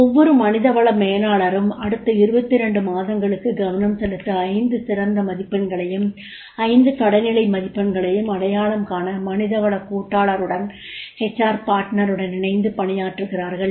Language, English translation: Tamil, Each people manager worked with the HR partner to identify five top scores and bottom five scores to focus for the next 22 months